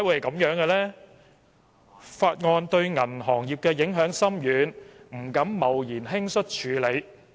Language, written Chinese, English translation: Cantonese, 《條例草案》對銀行業影響深遠，大家當然不敢貿然輕率處理。, Given the profound impact of the Bill on the banking industry we certainly dare not deal with it rashly in haste